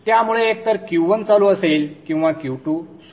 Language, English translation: Marathi, So therefore either Q1 is on or Q2 is off